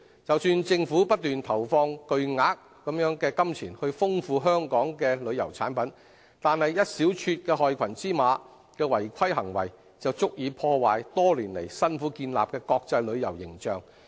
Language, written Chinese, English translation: Cantonese, 即使政府不斷投放巨額金錢來豐富旅遊產品，但一小撮害群之馬的違規行為，便足以破壞多年來辛苦建立的國際旅遊形象。, Although the Government has been investing huge amounts of money in promoting the diversification of tourism products malpractices by just a small group of bad elements will be destructive enough to tarnish Hong Kongs tourism image built up in the international world with so many years of hard work